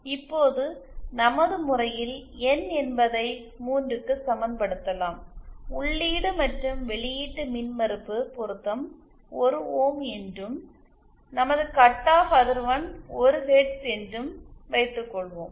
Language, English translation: Tamil, Now, this can be equated as Suppose say for our case we have N equal to 3 and say have input and output impedance match required is 1 ohm and say our cut off frequency is 1 Hz